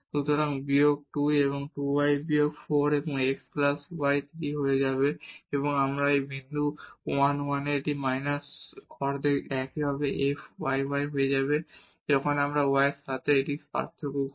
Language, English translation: Bengali, So, minus 2 and this 2 y will become minus 4 and x plus y power 3 and again at this point 1 1 this will become minus half similarly the f yy when we differentiate this with respect to y